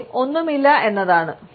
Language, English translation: Malayalam, First, none at all